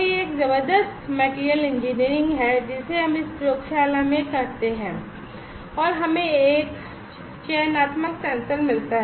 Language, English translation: Hindi, So, this is a tremendous materials engineering we do in this lab and we get a selective sensor